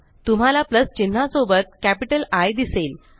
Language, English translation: Marathi, You will see plus sign with a capital I